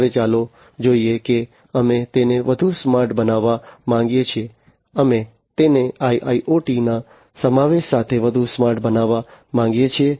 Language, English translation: Gujarati, Now, let us look at we want to make it smarter right, we want to make it smarter with the incorporation of IIoT